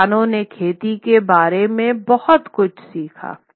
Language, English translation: Hindi, Farmers learned a lot more about farming